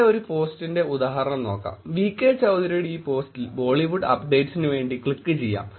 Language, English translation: Malayalam, Here is an example of a post which is done by VK Choudhary and the post we just click here for Bollywood updates